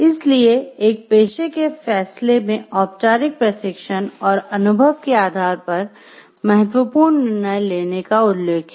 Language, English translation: Hindi, So, in a profession judgment refers to making significant decision based on formal training and experience